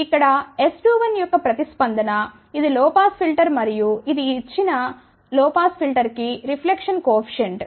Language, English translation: Telugu, So, here is the response of S 21 which is a low pass filter and this is the reflection coefficient for this given low pass filter